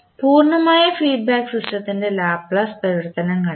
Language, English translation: Malayalam, To find the Laplace transform of the complete feedback system